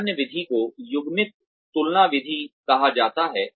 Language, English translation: Hindi, Another method is called the paired comparison method